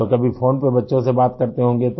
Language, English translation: Hindi, So, at times, you must be talking to the children on the phone